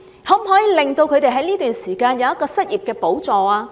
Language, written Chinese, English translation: Cantonese, 可否在這段時間為他們提供失業補助？, Can an unemployment subsidy be given to them in this period of time?